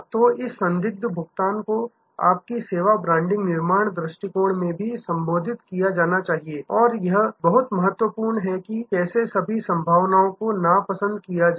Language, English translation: Hindi, So, this doubtful pay off must also be addressed in your service brand building approach and very important that take how to all possibilities unpleasantness